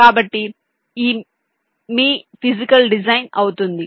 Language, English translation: Telugu, so this will be your physical